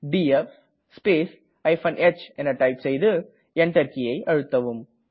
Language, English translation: Tamil, Please type df space h and press Enter